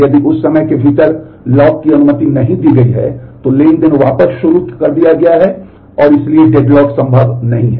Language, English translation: Hindi, If the lock has not been granted within that time the transaction is rolled back and restarted, and therefore, the deadlock is not possible